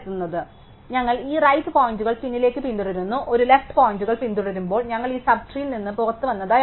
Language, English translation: Malayalam, So, we follow those right pointers backwards and when we a follow a left pointer, we know that we have come out of this sub tree